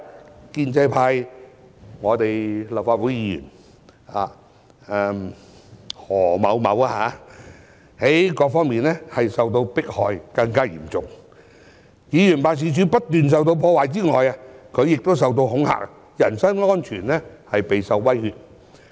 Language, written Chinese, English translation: Cantonese, 此外，建制派立法會議員何先生各方面受到迫害是更為嚴重的，其議員辦事處不斷受到破壞之外，他亦受到恐嚇，人生安全備受威脅。, Mr HO a Legislative Council Member from the pro - establishment camp has on the other hand suffered even more serious political persecution in various respects . Not only have his Members offices been repeatedly vandalized but he himself has also been intimidated with his personal safety constantly threatened